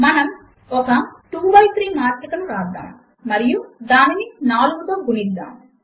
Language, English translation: Telugu, We will write a 2 by 3 matrix and multiply it by 4